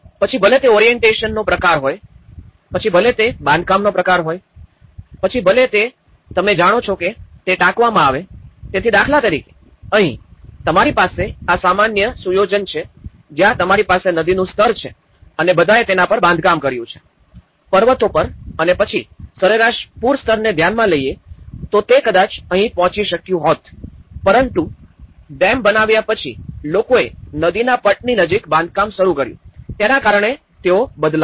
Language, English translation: Gujarati, And whether it is the form of orientation, whether it is the type of construction, whether it is a citing out you know, so this all for instance, here, you have these normal setup where you have the river level and all of them have built on the top, on the mountains and then the average flood level in case, it might have reached here but then because, after the construction of dams, people started construction near the riverbeds, they change